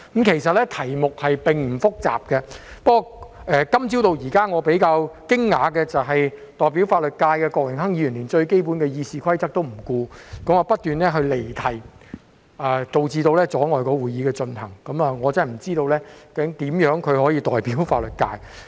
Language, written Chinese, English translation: Cantonese, 其實，這題目並不複雜，不過由今早到現在，令我比較驚訝的，是代表法律界的郭榮鏗議員連最基本的《議事規則》也不顧，不斷離題，阻礙會議的進行，我真的不知道他如何能夠代表法律界。, In fact this topic is not complicated . But from this morning till now what I find rather astonishing is that Mr Dennis KWOK who represents the legal sector has ignored the most basic Rules of Procedure by his incessant digression in an attempt to impede the proceeding of the meeting . I really have no idea how he can represent the legal sector